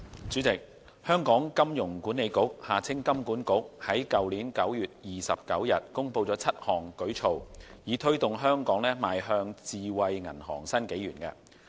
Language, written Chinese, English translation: Cantonese, 主席，香港金融管理局在去年9月29日公布7項舉措，以推動香港邁向智慧銀行新紀元。, President on 29 September last year the Hong Kong Monetary Authority HKMA announced seven initiatives to prepare Hong Kong to move into a new era of smart banking